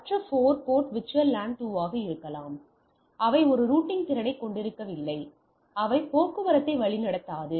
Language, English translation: Tamil, And other 4 port can be VLAN 2, but they will not route the traffic because they do not have the routing capability